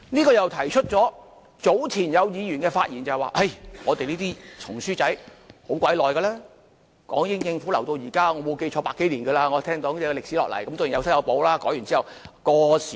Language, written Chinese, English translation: Cantonese, 就這方面，早前有議員發言時，指出我們這本"紅書仔"歷史很悠久，由港英政府留到現在，我沒有記錯已有百多年了，我聽說歷史延續下來，當然有修有補，改完之後。, In this regard some Members said earlier that this little red book has a long history . It is inherited from the former British Hong Kong Government . It is more than 100 years old if I remember correctly